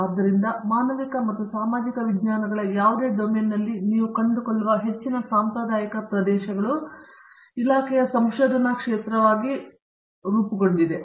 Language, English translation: Kannada, So, most of the traditional areas in that you find in any domain of humanities and social sciences are covered, as research area in the department